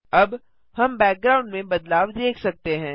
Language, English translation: Hindi, Now we can see the change in the background